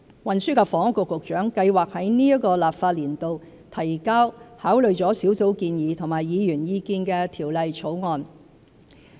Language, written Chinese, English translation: Cantonese, 運輸及房屋局局長計劃在今個立法年度提交考慮了小組建議及議員意見的條例草案。, The Secretary for Transport and Housing plans to submit in the current legislative session a bill which will take into account the recommendations of the Task Force and the views of Members